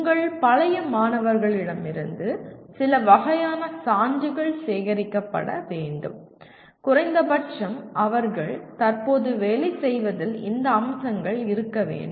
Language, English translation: Tamil, Some kind of proof will have to be collected from your alumni to see that at least they are whatever they are presently working on has these features in it